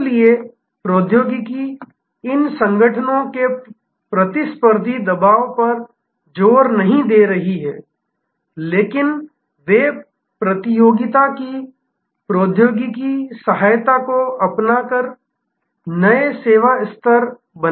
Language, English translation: Hindi, So, technology is not thrust upon these organizations competitive pressure, but they create new service levels by adopting technology aid of the competition